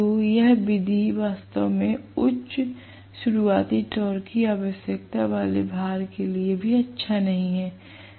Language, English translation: Hindi, So, this method is also really not good, this method is also not good for loads requiring high starting torque